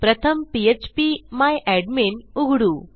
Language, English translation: Marathi, First I will open php my admin